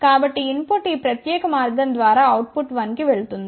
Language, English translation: Telugu, So, input will go through this particular path to output 1